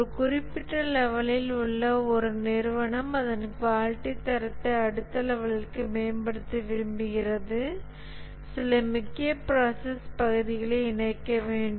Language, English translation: Tamil, An organization at a certain level that wants to improve its quality standard to the next level, we'll have to incorporate certain key process areas